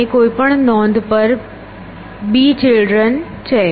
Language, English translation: Gujarati, And at any note there are b children